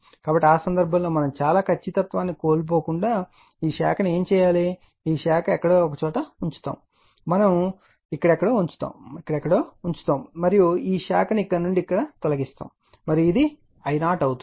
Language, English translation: Telugu, So, in that case what we will do what we will do this branch actually without yourloosing much accuracy this branch will put somewhere here we will put somewhere here, right we will put somewhere here and this branch will remove from here and this will be my I 0